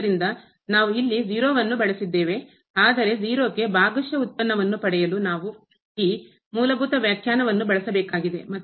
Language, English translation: Kannada, Therefore, we have used here 0, but we have to use this fundamental definition to get the partial derivative at 0